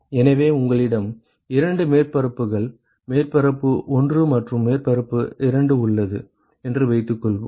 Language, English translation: Tamil, So, supposing you have two surfaces surface 1 and surface 2 ok